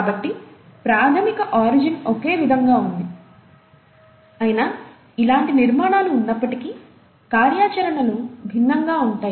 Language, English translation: Telugu, So, the basic origin was the same, yet the functionalities are different despite having similar architecture